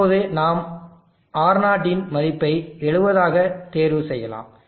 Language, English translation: Tamil, Let us choose now R0 of 70